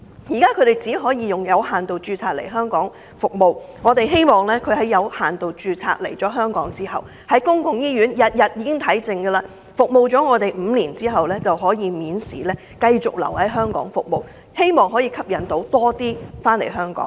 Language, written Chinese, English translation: Cantonese, 現在，他們只能以有限度註冊來香港服務，我們希望他們註冊後並在香港的醫院服務滿5年，便可以免試繼續留港服務，藉此吸引更多醫生來港。, At present they may only work as a medical practitioner in Hong Kong with limited registration . We propose that they be allowed to continue to provide medical services in Hong Kong and be exempted from examination if they have completed five years of service in Hong Kong hospitals after registration so as to attract more doctors to come to Hong Kong